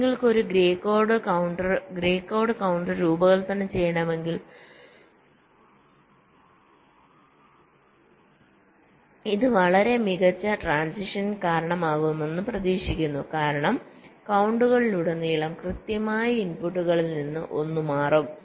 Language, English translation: Malayalam, so the idea is, if you want to design a grey coat counter, this is expected to result in much less number of transitions because across counts exactly one of the inputs will be changing, so the other inputs will not be triggering any transitions